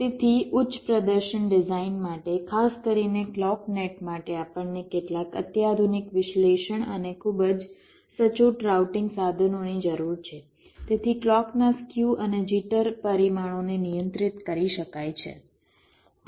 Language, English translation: Gujarati, ok, so for high performance design, particularly for the clock net, we need some sophisticated analysis and very accurate routing tools so as to control the skew and jitter ah parameters of the clock